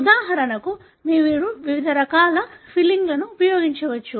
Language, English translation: Telugu, For example you could use different types of filling